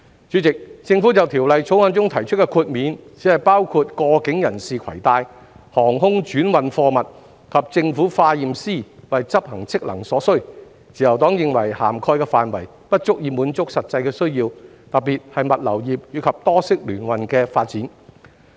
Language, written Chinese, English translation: Cantonese, 主席，政府在《條例草案》中提出的豁免，只包括過境人士攜帶、航空轉運貨物及政府化驗師為執行職能所需，自由黨認為涵蓋範圍不足以滿足實際需要，特別是物流業及多式聯運的發展。, President the exemption proposed by the Government in the Bill only covers articles in transit air transhipment cargoes and products necessary for the performance of the Government Chemists functions . The Liberal Party considers that the coverage is insufficient to meet the actual needs especially for the development of the logistics industry and multi - modal transport . Hong Kong has a well - connected transport network